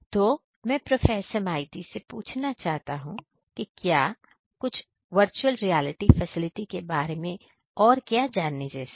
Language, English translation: Hindi, So, let me now ask Professor Maiti is there anything else that we should know about the VR facility over here